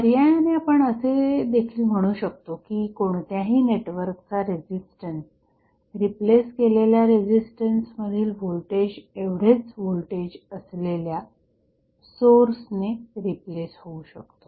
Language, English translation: Marathi, So, alternatively we can also say that the resistance of any network can be replaced by a voltage source having the same voltage as the voltage drop across the resistance which is replaced